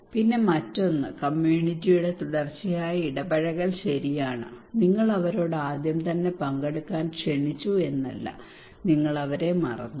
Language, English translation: Malayalam, Then another one is that continued engagement of the community okay it is not that you asked them invited them to participate in the very beginning and then you forgot them